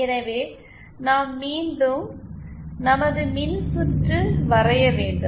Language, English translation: Tamil, So once again we draw our circuit